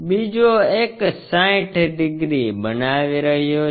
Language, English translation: Gujarati, The other one is making 60 degrees